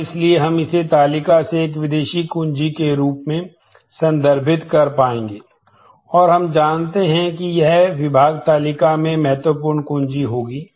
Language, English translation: Hindi, And so, we will be able to refer this, from this table as a foreign key and we know that it will be key in the department table